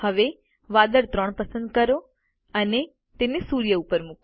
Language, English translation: Gujarati, Now lets select cloud 3 and place it above the sun